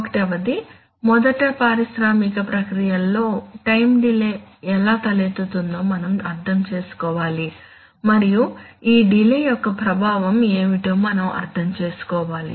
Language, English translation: Telugu, Which are number one first of all we need to understand how time delays arise in industrial processes and then we need to understand why what is the effect of this delay